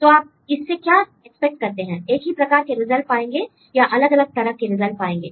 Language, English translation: Hindi, So, what do you expect you get similar results or different results